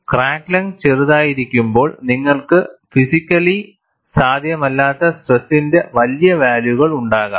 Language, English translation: Malayalam, When crack length is small, you can have very large values of stress, which is not possible, physically